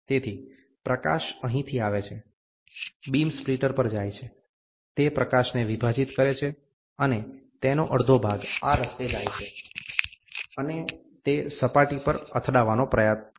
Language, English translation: Gujarati, So, the light comes from here, goes to the beam splitter, it splits the light and half of it goes this way, and it tries to hit at the surface